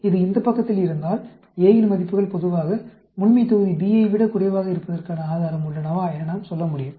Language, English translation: Tamil, If this is on this side, we can say, is there evidence that the values of A is generally less than that of population B